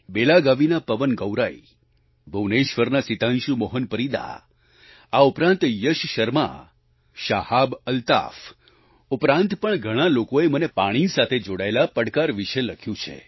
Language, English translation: Gujarati, PawanGaurai of Belagavi, Sitanshu Mohan Parida of Bhubaneswar, Yash Sharma, ShahabAltaf and many others have written about the challenges related with water